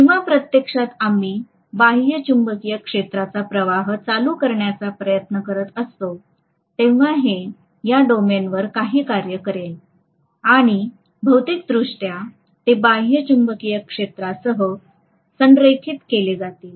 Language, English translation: Marathi, Whereas, when actually we are trying to you know subject it to an external magnetic field by passing the current, that is going to do some work on these domains and physically they are going to be aligned along with the external magnetic field